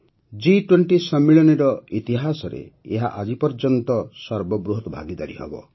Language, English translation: Odia, This will be the biggest participation ever in the history of the G20 Summit